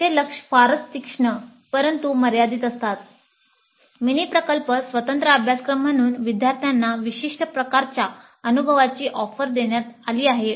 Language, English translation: Marathi, It has a very sharp but limited focus in the sense that the mini project as a separate course is offered to provide a specific kind of experience to the students